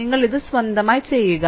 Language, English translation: Malayalam, You please do it of your own